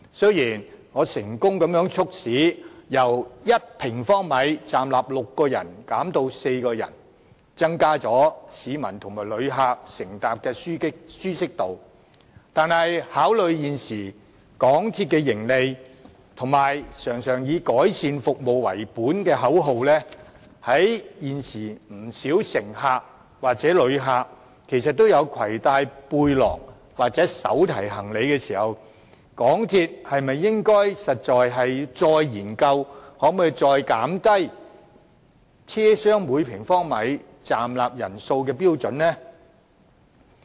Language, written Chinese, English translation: Cantonese, 雖然我成功促使港鐵把密度由1平方米站立6人減至站立4人，提高市民和旅客乘搭時的舒適度，但是，考慮到現時港鐵的盈利，以及經常以改善服務為本的口號，加上現時不少乘客或旅客也攜帶背包或手提行李，港鐵是否應該再研究降低車廂每平方米站立人數的標準呢？, My effort has successfully led to the lowering of density from six to four standing passengers per square metre by the MTR Corporation Limited MTRCL to enhance comfort for members of the community and travellers on trains . That said considering the profit level of MTRCL at the moment the slogan of improving quality of service that it often boasts and the fact that many passengers or travellers carry backpacks or carry on luggage on board these days should MTRCL not study again the possibility of further lowering the standard for the density of standing passengers per square metre in train compartments?